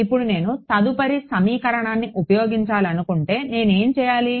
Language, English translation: Telugu, Now, if I wanted to use the next equation what should I do